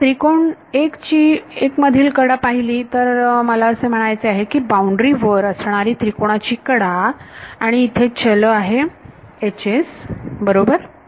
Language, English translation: Marathi, So, in triangle 1, if I look at the edge that is I mean the edge of the triangle on the boundary, the variable is H s right